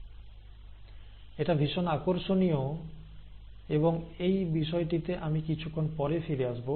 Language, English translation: Bengali, Now that is interesting, and I will come back to this a little later